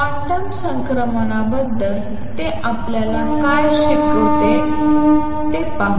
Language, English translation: Marathi, Let us see; what does it teach us about quantum transitions